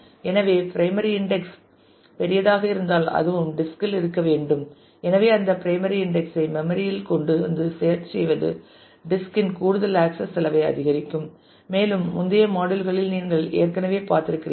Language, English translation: Tamil, So, because if the primary index is large then that also has to exist in the disk and therefore, bringing that primary index into the memory and then searching will add to additional access cost of the disk and you have already seen in the earlier modules as